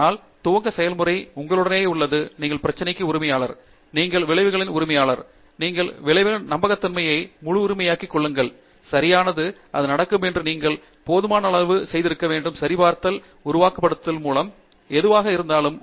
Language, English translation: Tamil, But, the starting process is with you, you are the owner of the problem, you are the owner of the result, you take complete ownership of the credibility of the result, right and that is, for that to happen you should have done enough validation either theoretically, experimentally, through simulations, whatever